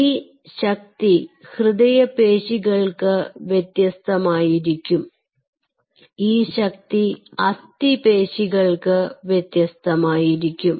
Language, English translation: Malayalam, now this force essentially determines: this force is different for cardiac tissue, this force is different for this skeletal muscle